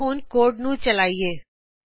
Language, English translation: Punjabi, Lets now execute the code